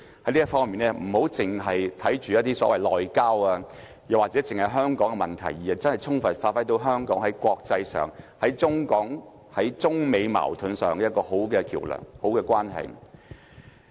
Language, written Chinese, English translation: Cantonese, 在這方面，特首不要單看內交或只是香港的問題，而是充分發揮香港在國際上、在中港或在中美矛盾上一個很好的橋樑和一個好的關係。, In this regard the Chief Executive should not only concentrate on homeland relationship or issues in Hong Kong but also effectively utilize Hong Kongs position as a bridge and a linkage in the international arena or in respect of Mainland - Hong Kong or China - United States relations